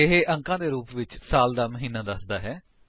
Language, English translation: Punjabi, It gives the name of the month